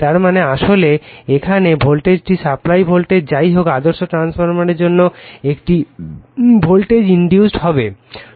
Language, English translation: Bengali, That means, here a actually here a volt this is supply voltage anyway for the ideal transformer a voltage will be induced